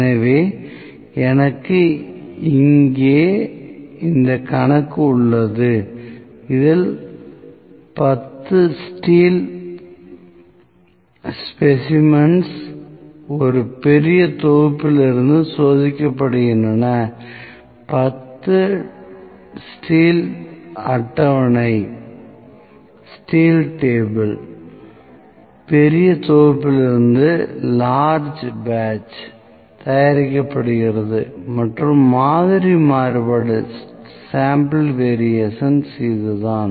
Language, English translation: Tamil, So, I have at this problem here the 10 steel specimens are tested from a large batch, 10 steel table is made from large batch and a sample variance is this